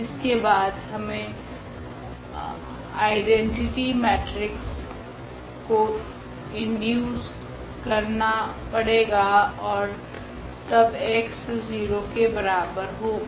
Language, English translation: Hindi, Then we have to also introduce this identity matrix and then x is equal to 0